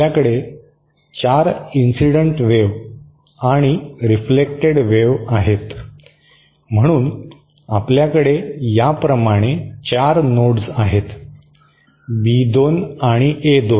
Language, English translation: Marathi, We have 4 incident and reflected waves, so we have 4 nodes this way, B2 and A2